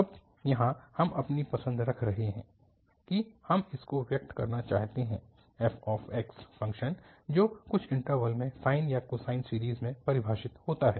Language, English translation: Hindi, Now here we are putting our choice that we want to express this f x function which is defined in some interval into a sine or a cosine series